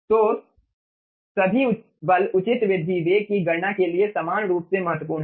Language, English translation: Hindi, so all the forces are equally important for calculation of right rise velocity, okay